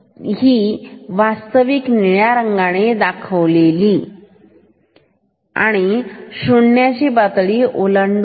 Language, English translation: Marathi, So, this is the actual wave the blue one and it is crossing the level 0